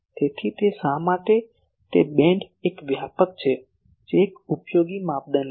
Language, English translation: Gujarati, So, that is why how wide is that beam that is an useful criteria